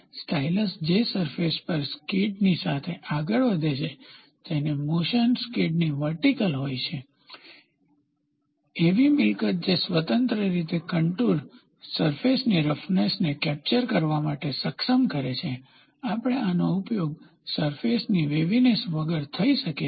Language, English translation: Gujarati, The stylus that moves over the surface along the skid such that, its motion is vertical relative to the skid, a property that enables the stylus to capture the contour surface roughness independent of the surface waviness we use this